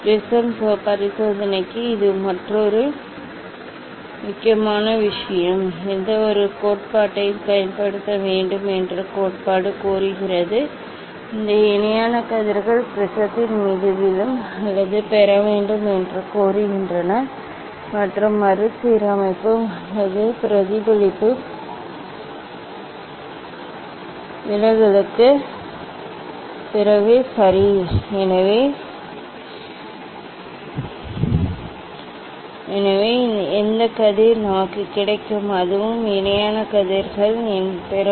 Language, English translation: Tamil, Another important thing this for prism experiment, for getting experiment, theory demand that whatever theory will use, it demand that this parallel rays will fall on the prism or getting And after refection or reflection or deflection ok, so whatever the ray we will get so that also will be set of parallel rays will get